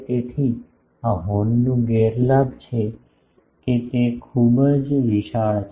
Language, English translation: Gujarati, So, this is the disadvantage of horns, that they becomes very bulky